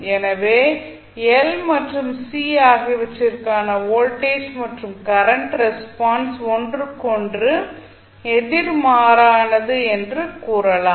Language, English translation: Tamil, So, in that way you can say that voltage current response for l and c are opposite to each other